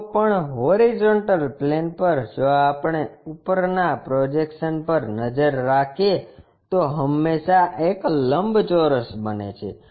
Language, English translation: Gujarati, Anyway projection on the horizontal plane if we are looking the top view always be a rectangle